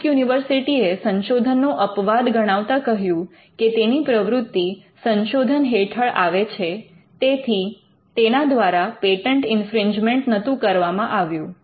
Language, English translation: Gujarati, Duke University pleaded research exception saying that its activities would amount to research and hence, it should not technically fall within patent infringement